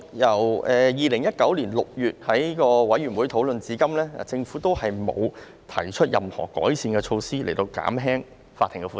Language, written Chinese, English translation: Cantonese, 由2019年6月的委員會討論至今，政府一直沒有提出任何改善措施來減輕法庭的負擔。, Since the discussion held in a committee in June 2019 the Government has not proposed any improvement measure to alleviate the caseloads of the court